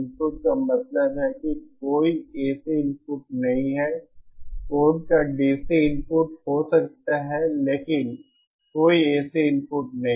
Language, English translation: Hindi, Inputs I mean no AC input, there can be DC input of code, but no AC input